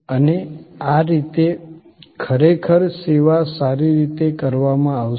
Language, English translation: Gujarati, And thereby actually the service will be performed well